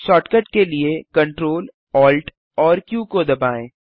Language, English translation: Hindi, For shortcut, press Ctrl, Alt Q